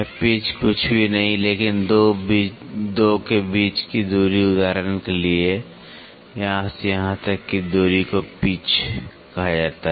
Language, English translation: Hindi, Pitch is nothing, but the distance between the 2 for example, from here to here is called as a pitch